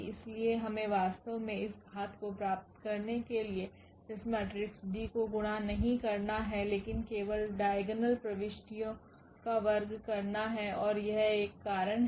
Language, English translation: Hindi, So, we do not have to actually multiply these matrices D here for this power, but only the diagonal entries will be squared and that is a reason here